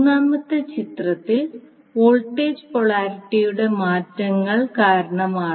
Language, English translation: Malayalam, Now, in the 4th case, you will see the polarity for voltages change